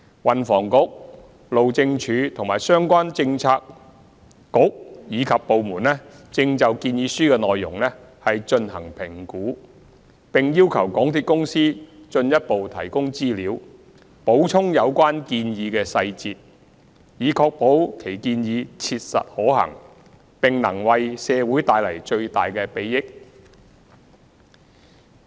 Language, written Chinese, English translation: Cantonese, 運房局、路政署及相關政策局/部門正就建議書內容進行評估，並要求港鐵公司進一步提供資料，補充有關建議的細節，以確保其建議切實可行，並能為社會帶來最大的裨益。, The Transport and Housing Bureau the Highways Department and relevant bureauxdepartments are evaluating the proposals and have requested MTRCL to provide additional information and supplement details . In carrying out the evaluation our main focus is to ensure that the proposals are practically feasible and can bring maximum benefits to the society